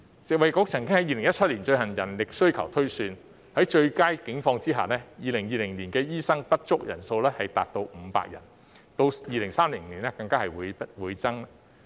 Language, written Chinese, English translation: Cantonese, 食衞局曾在2017年進行人力需求推算，即使在最佳的情況下 ，2020 年醫生短缺人數仍高達500人，到2030年更會倍增。, In 2017 FHB conducted a manpower requirement projection and found that even in a best - case scenario the shortfall of doctors would reach 500 in 2020 and even double in 2030